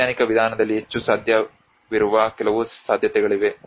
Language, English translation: Kannada, There are some possibilities which were more possible in the scientific approach